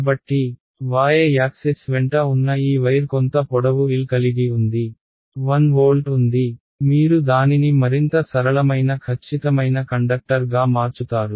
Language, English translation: Telugu, So, this wire which is lying along the y axis it has some length L, it has 1 volt you make it even simpler perfect conductor